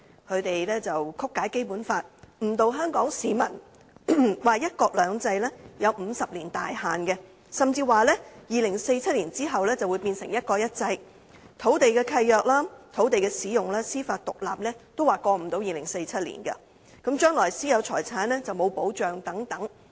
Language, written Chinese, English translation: Cantonese, 他們曲解《基本法》，誤導香港市民，說"一國兩制"有50年大限，甚至說在2047年後便會變成"一國一制"，土地契約、土地使用、司法獨立也不能超越2047年，將來私有財產並沒有保障等。, They misinterpret the Basic Law and mislead the people of Hong Kong by saying that there is a time frame of 50 years for one country two systems and they even claim that one country two systems will become one country one system after 2047 and land leases land use and judicial independence cannot go beyond 2047 and there will be no protection for private properties in the future and so on